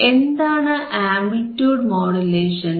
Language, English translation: Malayalam, What are amplitude modulations